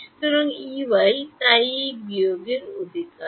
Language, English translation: Bengali, So, E y so it is this minus this right